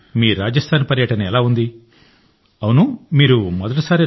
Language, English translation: Telugu, Did you go toRajasthan for the first time